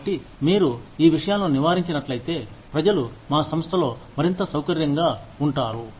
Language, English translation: Telugu, So, if you avoid these things, then people will be more comfortable, in our organization